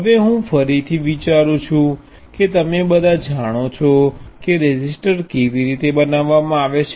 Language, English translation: Gujarati, Now, I think again all of you know how a resistor is made